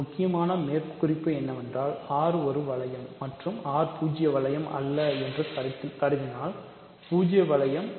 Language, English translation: Tamil, So, one important remark is if R is a ring and assume that R is not the zero ring